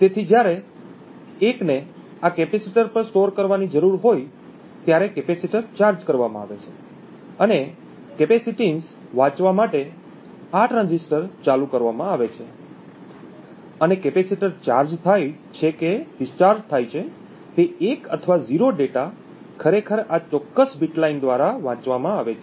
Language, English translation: Gujarati, So when a 1 needs to be stored on this capacitor the capacitor is charged and in order to read the capacitance this transistor is turned ON and the data either 1 or 0 whether the capacitor is charged or discharged is actually read through this particular bit line